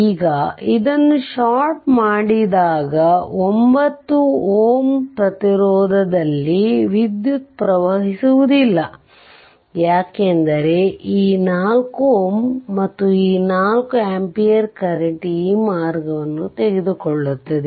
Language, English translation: Kannada, Now, this is shorted this path is shorted right, that means this 9 ohm nothing will flow, because this 4 ohm ah 4 ampere current will take this path will take this path